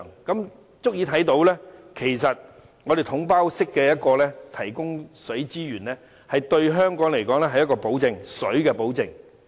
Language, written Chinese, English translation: Cantonese, 這足以看到"統包總額"式提供水資源對香港來說是水的保證。, It is sufficient to show that the package deal lump sum approach does guarantee reliable water supply to Hong Kong